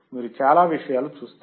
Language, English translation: Telugu, You will see lot of things